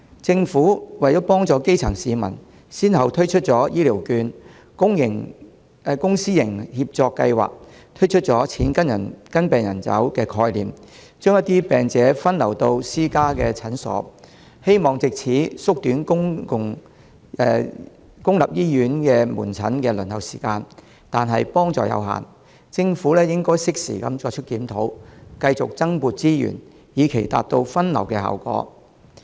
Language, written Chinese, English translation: Cantonese, 政府為幫助基層市民，先後推出醫療券、公私營協作計劃，推出"錢跟病人走"的概念，將一些病者分流到私家診所，希望藉此縮短公立醫院門診的輪候時間，但幫助有限；政府應適時作出檢討，繼續增撥資源，以達到分流效果。, In order to help grass - roots citizens the Government has at different stages introduced healthcare vouchers public - private partnership projects and the money follows patients concept . The idea is to divert some patients to private clinics with a view to shortening the waiting time for outpatient services in public hospitals . However the effect is limited